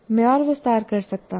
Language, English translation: Hindi, I can further elaborate this